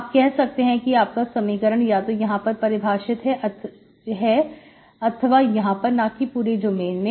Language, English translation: Hindi, You can say your equation is defined either here or here or here, not, not in this full domain, okay